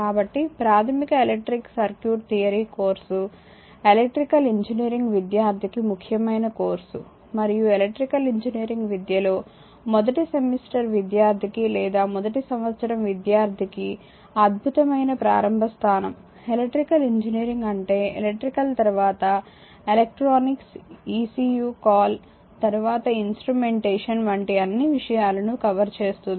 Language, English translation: Telugu, So, therefore, the basic electric circuit theory course is your important course for an electrical engineering student and of course, and excellent starting point for a first semester student or first year student in electrical engineering education, electrical engineering means it covers all the things like electrical, then your electronics ecu call then your instrumentation